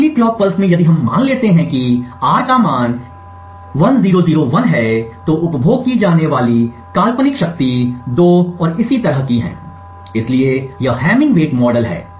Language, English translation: Hindi, In the next clock pulse let us if we assume that R has a value of 1001 then the hypothetical power consumed is 2 and so on, so this is the hamming weight model